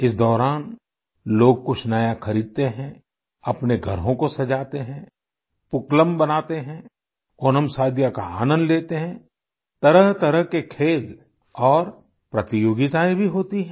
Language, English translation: Hindi, During this period, people buy something new, decorate their homes, prepare Pookalam and enjoy OnamSaadiya… variety of games and competitions are also held